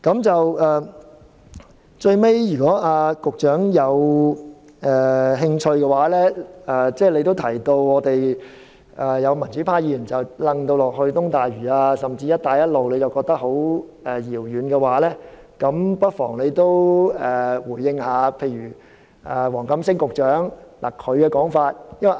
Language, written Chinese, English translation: Cantonese, 最後，由於局長提到有民主派議員將這建議與東大嶼甚或"一帶一路"連結起來，而他覺得這些事情很遙遠，如果局長有興趣，不妨也回應例如黃錦星局長的說法。, Lastly since the Secretary said that some pro - democracy Members have linked up this proposal with East Lantau and even the Belt and Road Initiative which in his view are matters that are very far away the Secretary may if he is interested respond to the remarks made by say Secretary WONG Kam - sing